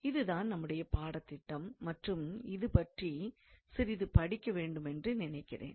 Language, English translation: Tamil, So, this is also in our syllabus, and I think we can learn a little bit about it